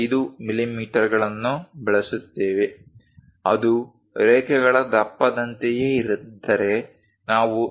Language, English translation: Kannada, 5 millimeters; if it is something like thickness of lines, we use 0